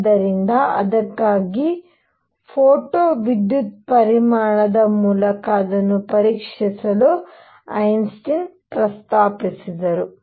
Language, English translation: Kannada, So, for that Einstein proposed checking it through photo electric effect